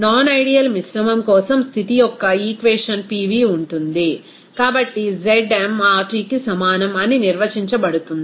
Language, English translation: Telugu, The equation of state for a non ideal mixture is then defined as Pv will be is equal to ZmRT